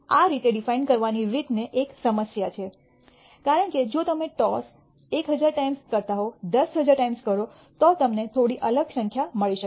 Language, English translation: Gujarati, This way of defining how has a problem, because if you do that toss 10,000 times instead of 1,000 times you might get a slightly different number